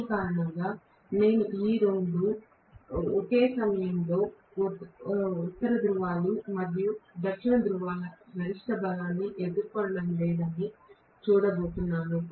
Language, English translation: Telugu, Because of which I am going to see that both of them are not facing the maximum strength of north poles and south poles at the same instant of time